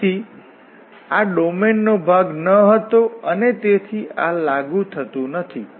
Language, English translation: Gujarati, So, therefore, this was not a part of the domain and therefore, this is not applicable